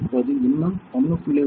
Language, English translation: Tamil, So, now still with 1